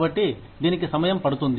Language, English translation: Telugu, So, it takes time away